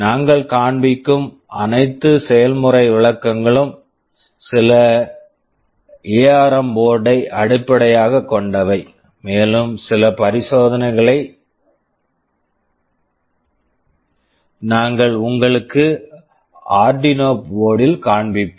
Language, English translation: Tamil, All the demonstrations that we shall be showing would be based on some ARM board, and also a few experiments we shall be showing you on Arduino boards